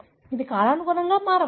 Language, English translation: Telugu, It can change with time